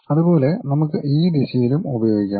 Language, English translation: Malayalam, Similarly, we can use in this direction also